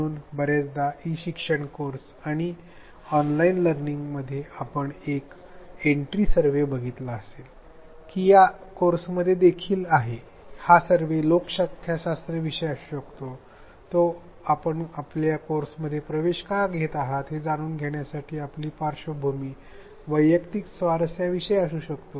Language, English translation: Marathi, So, often in e learning courses and online learning, there is an entry survey you would have encountered that even in this course it may be about demographics, it may be about background, personal interests why do you enrol in this course